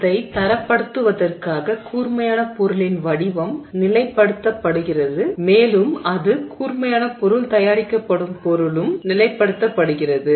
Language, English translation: Tamil, To standardize it the shape of the sharp object is fixed and the material it is made of is also fixed